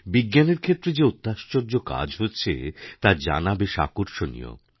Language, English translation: Bengali, It was interesting to know about the ongoing miraculous accomplishments in the field of Science